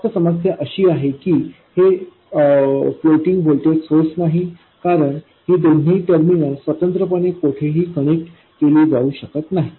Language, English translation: Marathi, The only problem is that it is not a floating voltage source, that is these two terminals cannot be independently connected somewhere